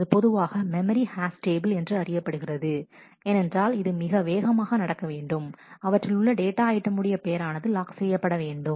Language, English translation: Tamil, And this is typically a in memory hash table because, it needs to naturally be very fast and is in the name of the data item being locked